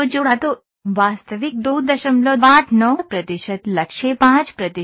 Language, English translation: Hindi, 89 percent target was 5 percent